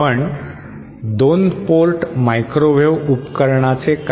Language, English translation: Marathi, But what about a 2 port microwave device